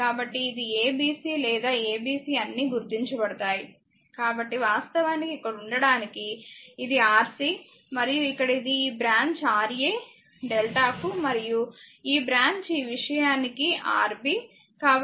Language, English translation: Telugu, So, it is ab c or a b c all are marked; so, a to be actually here it is R c right and here it is your this branch is Ra for delta and this branch is Rb for this thing right